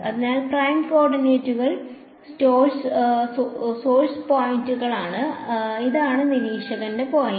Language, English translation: Malayalam, So, the prime coordinates are the source points and this over here is the observer point